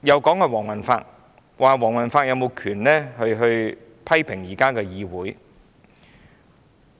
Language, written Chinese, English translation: Cantonese, 他們又說黃宏發無權批評現時的議會。, And then they say Andrew WONG did not have the authority to criticize the Council now